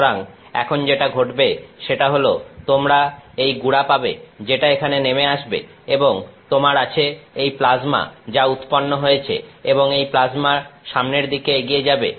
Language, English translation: Bengali, So now, what happens is you have this powder that is coming down here and you have this plasma that is being generated and the plasma goes forward